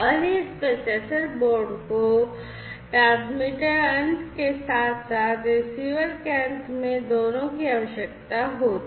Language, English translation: Hindi, And this processor board is required at both the ends the transmitter end as well as the receiver end, right